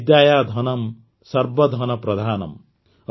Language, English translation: Odia, Vidyadhanam Sarva Dhanam Pradhanam